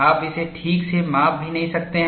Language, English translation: Hindi, You may not be able to even measure it properly